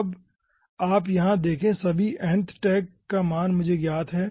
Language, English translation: Hindi, now you see, here all the nth tags are actually known to me